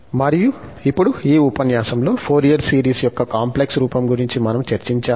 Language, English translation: Telugu, And, now, just to conclude, so, we have discussed in this lecture, the complex form of the Fourier series